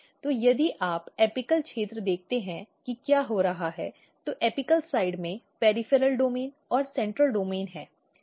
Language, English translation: Hindi, So, this is if you look the apical region what is happening, in the apical side there are peripheral domain and the central domain